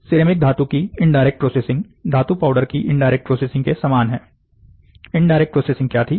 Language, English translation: Hindi, The indirect processing of ceramic powder is identical to indirect processing of metal powder, what was the indirect way